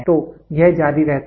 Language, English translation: Hindi, So, it keeps on continuing